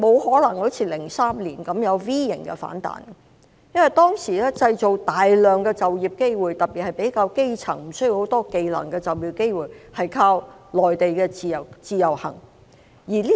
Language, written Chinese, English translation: Cantonese, 在2003年，我們靠內地的自由行來製造大量的就業機會，特別為較基層人士、無需具備很多技能的人士製造就業機會。, In 2003 we relied on the Individual Visit Scheme in the Mainland to create many employment opportunities especially those for the grass roots and people without a lot of special skills